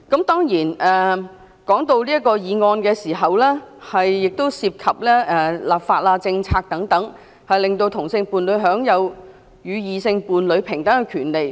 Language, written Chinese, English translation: Cantonese, 當然，這項議案亦涉及立法和政策等，令同性伴侶享有與異性伴侶平等的權利。, Certainly the motion also involves legislation and government policies and so on in order to enable same - sex couple to enjoy equal rights as their heterosexual counterparts